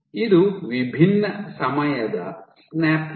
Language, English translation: Kannada, So, this is different time snaps